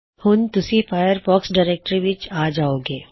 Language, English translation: Punjabi, This will take you to the Firefox directory